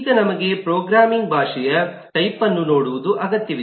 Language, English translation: Kannada, we would like to take a look into the type of a programming language